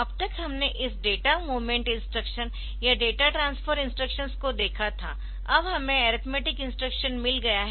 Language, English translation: Hindi, so far we had the this data movement instruction or data transfer instructions, now we have got arithmetic instruction